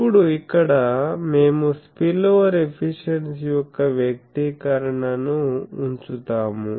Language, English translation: Telugu, Now, here we will put the expression of spillover efficiency